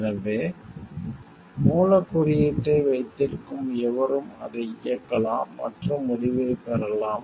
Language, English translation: Tamil, So, this thing like anyone who has got hold of the source code they can run it and like get outcome